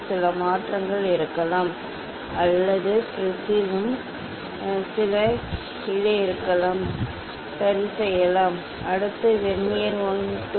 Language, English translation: Tamil, there may be some change or in prism also may be some up down may be there ok, so that is why this optical levelling is required